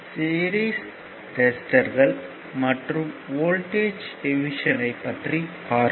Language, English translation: Tamil, So, series resistors and your voltage division